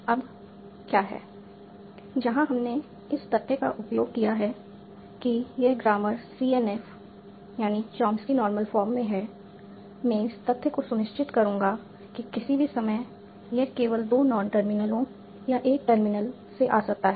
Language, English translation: Hindi, , what is the, where are we using the fact that this grammar is in CNF, chomsy number form, I will make sure the fact that at any point this can come from only two non termlers or a single term